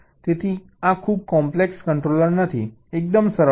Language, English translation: Gujarati, so such is not a very complex controller, quite simply one